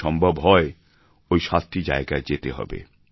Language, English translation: Bengali, If possible, one must visit these seven places